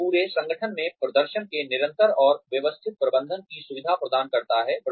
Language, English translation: Hindi, It facilitates, continuous and systematic management of performance, throughout the organization